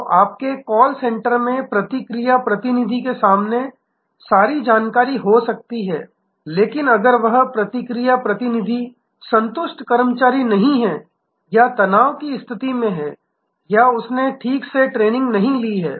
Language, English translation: Hindi, So, your call center may have all the information in front of the response representative, but if that response representative is not a satisfied employee or is in a state of stress or has not been properly trained